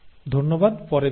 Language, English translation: Bengali, Thank you and I will see you later